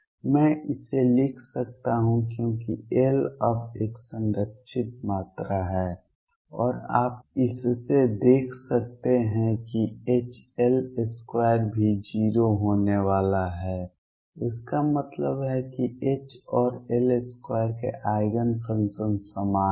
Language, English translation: Hindi, I can write this because L now is a conserved quantity and you can see from this that H L square is also going to be 0 this means eigen functions of H and L square are common